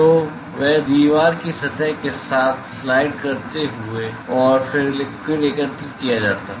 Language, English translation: Hindi, So, they slide along the surface of the wall and then the liquid is collected